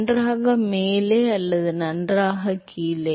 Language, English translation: Tamil, well above or well below